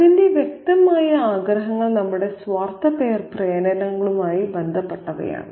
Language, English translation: Malayalam, Its obvious wishes are those connected with our selfish impulses